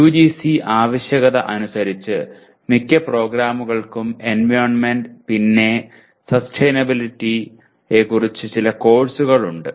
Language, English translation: Malayalam, As per the UGC requirement most of the programs do have a course on, some course on environment or sustainability